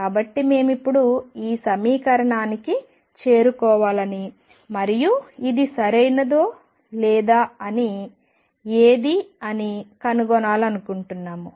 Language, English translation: Telugu, So, we will want to now kind of arrive at this equation and discover whether it is right or what